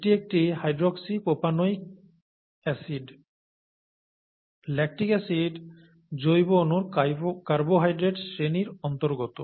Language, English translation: Bengali, And therefore, this is a hydroxypropanoic acid, lactic acid belongs to a class of biomolecules called carbohydrates